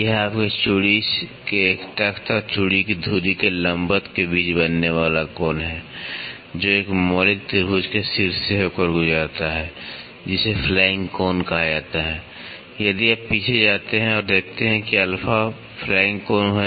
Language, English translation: Hindi, It is the angle formed between a plank of your thread and the perpendicular to the axis of the thread, that passes through the vertex of a fundamental triangle is called as flank angle, if you go back and see alpha is the flank angle